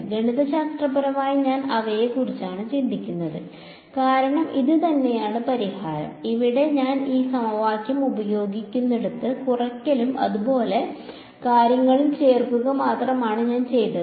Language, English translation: Malayalam, I am mathematically thinking of them as this is the same the solution is the same, where I use the this an equation all I did was add subtract and things like that right